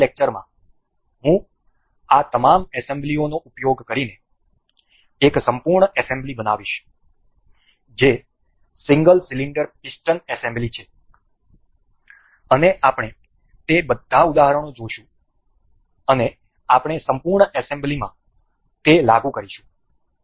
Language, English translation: Gujarati, In the next lecture I will go with the I will use all of these assemblies to make one full assembly that is single cylinder piston assembly and we will see all of those examples and we will apply those in the full assembly